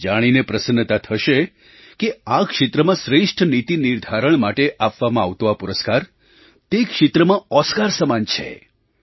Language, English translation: Gujarati, You will be delighted to know that this best policy making award is equivalent to an Oscar in the sector